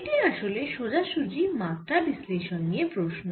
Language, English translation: Bengali, so this is actually straightforward dimensional analysis